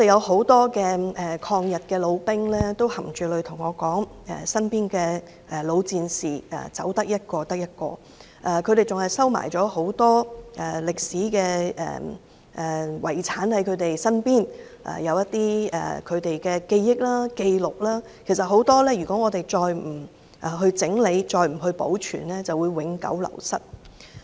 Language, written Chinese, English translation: Cantonese, 很多抗日老兵含淚對我說，身邊的老戰士陸續離世，他們還收藏了很多歷史遺產，這些都是他們的記憶或紀錄，如果再不整理、保存便會永久流失。, Many anti - Japanese veterans tearfully told me that the old warriors they knew gradually passed away . They have kept a lot of historical heritage which are their memories or records . If these items are not organized or preserved well they will be lost forever